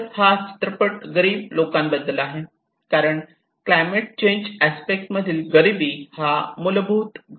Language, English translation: Marathi, So, this film is all about the poor communities because the poverty is an underlying factor for any of disaster in the climate change aspect